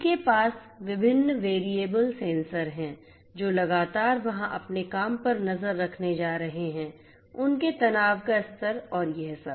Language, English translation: Hindi, They also will have different variable sensors which continuously are going to monitor there you know their work habits, you know their stress level and so on and so forth